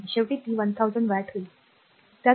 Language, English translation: Marathi, 1 ultimately it will become 1,000 watt, right